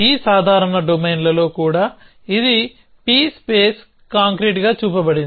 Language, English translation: Telugu, Even in these simple domains it was shown to be p space concrete